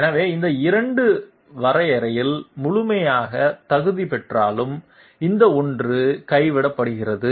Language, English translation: Tamil, So though these two fully qualify in the definition, this one is dropped